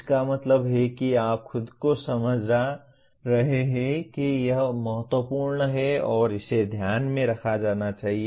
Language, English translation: Hindi, That means you now are convincing yourself that it is important and it needs to be taken into consideration